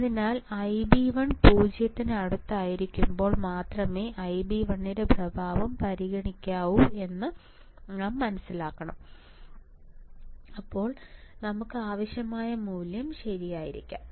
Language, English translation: Malayalam, So, we have to understand that we have to consider the effect of I b 1 only when I b 1 is close to 0 then we can have value which is our desired value all right